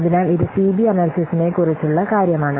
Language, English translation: Malayalam, So, this is something about this CB analysis